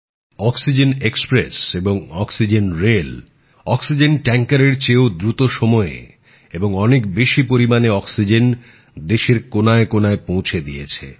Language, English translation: Bengali, Oxygen Express, oxygen rail has transported larger quantities of oxygen to all corners of the country, faster than oxygen tankers travelling by road